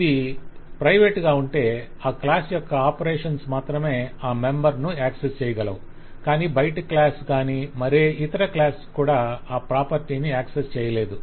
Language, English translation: Telugu, If it is private, it means that only the operations of that specific class can access that property, but no external class, no other class can access that property